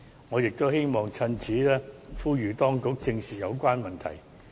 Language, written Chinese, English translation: Cantonese, 我亦希望藉此機會呼籲當局正視有關問題。, I also hope to take this opportunity to urge the Administration to face the relevant issue squarely